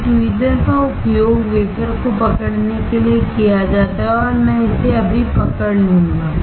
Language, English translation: Hindi, A tweezer is used to hold the wafer and I will hold it right now